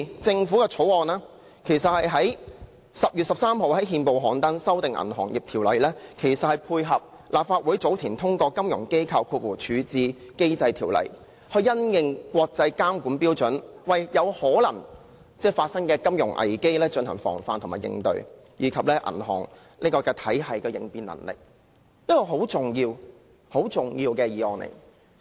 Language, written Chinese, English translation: Cantonese, 政府在10月13日於憲報刊登《條例草案》，修訂《銀行業條例》，是配合立法會早前通過的《金融機構條例》，因應國際監管標準，為有可能發生的金融危機進行防範、應對，以及銀行體系的應變能力；這是一項很重要的議案。, The Bill which was gazetted by the Government on 13 October seeks to amend the Ordinance in order to prevent and address possible financial crises and strengthen the resilience of our banking system in accordance with the latest international standards on banking regulation under the Financial Institutions Resolution Ordinance which was enacted by this Council earlier . Hence this motion is very important